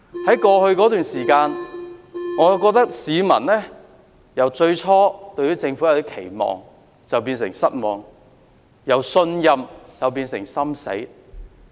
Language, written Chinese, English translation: Cantonese, 在過去一段時間，我覺得市民已由最初對政府有點期望，變成失望；由信任變成心死。, I think people have changed from having some hope with the Government to having no hope with it . They have changed from trusting the Government to feeling heart broken